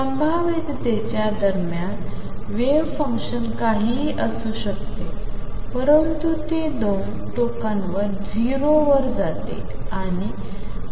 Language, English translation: Marathi, In between the potential varies the wave function could be anything in between, but it goes to 0 at the 2 ends